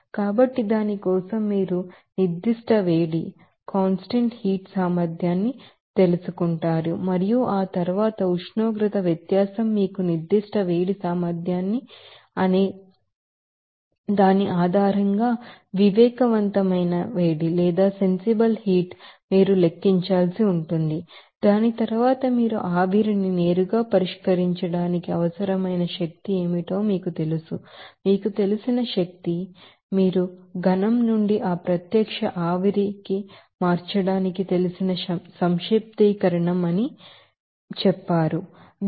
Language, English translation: Telugu, So, for that again you have to calculate that you know sensible heat based on that you know specific heat capacity and that temperature difference after that if you want to you know convert that you know vapour into directly to solve it then you know what will be the you know energy required that energy required will be you know that, you know will be the summation of that you know to convert from solid to that direct vapour said that will be called solid vapour